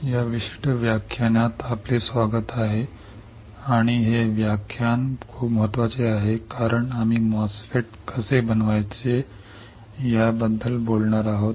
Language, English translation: Marathi, Welcome to this particular lecture and this lecture is very important since we are going to talk about how to fabricate a MOSFET